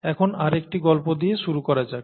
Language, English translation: Bengali, This time, let us start with another story